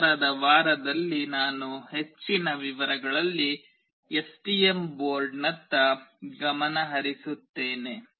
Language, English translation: Kannada, In the subsequent week I will be focusing on the STM board in more details